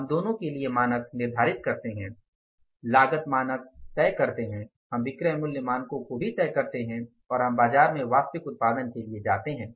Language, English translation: Hindi, Cost also cost standards also we fix up, selling price standards also we fix up and then we go for the actual production in the market